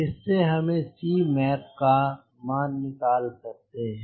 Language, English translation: Hindi, so from this i can get the values of c mac